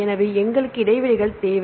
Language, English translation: Tamil, So, we need the gaps